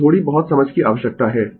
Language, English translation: Hindi, So, little bit understanding is required